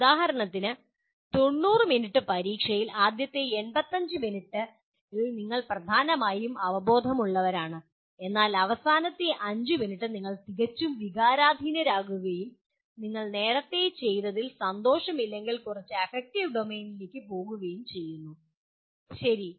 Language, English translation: Malayalam, For example, in a 90 minute exam if you have maybe first 85 minutes you are dominantly cognitive but then the last 5 minutes can be quite emotional and go into a bit of affective domain if you are not happy with what you were doing earlier, okay